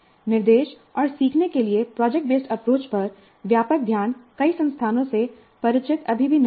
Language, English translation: Hindi, But a wider focus on product based approach to instruction and learning is still not that familiar to many institutions